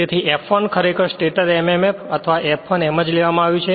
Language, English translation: Gujarati, So, this this F1 is given actually stator mmf or that F1 right